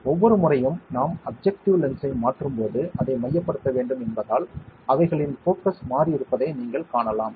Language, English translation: Tamil, You can see that their focus has shifted because every time we are changing the objective lens, we have to focus it